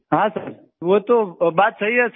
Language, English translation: Hindi, Yes sir, it is right sir